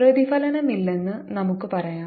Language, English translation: Malayalam, let us say there is no reflection